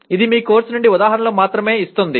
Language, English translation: Telugu, It is only giving examples from your course